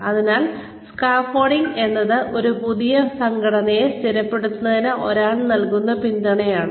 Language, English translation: Malayalam, So, scaffolding is the support, that one gives, in order to, stabilize a new structure